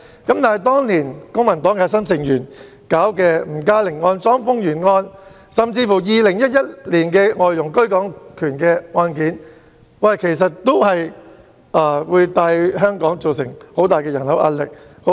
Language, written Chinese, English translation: Cantonese, 但當年公民黨核心成員處理的吳嘉玲案、莊豐源案，甚至2001年的外傭居港權案件，也有機會為香港帶來龐大的人口壓力。, But back then core members of the Civic Party handled the NG Ka - ling case CHONG Fung - yuen case and even the case on the right of abode of foreign domestic helpers in 2001 cases which could possibly bring huge population pressure onto Hong Kong